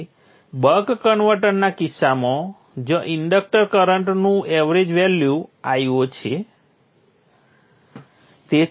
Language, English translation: Gujarati, This is so for the case of the buck converter where the average value the inductor current is i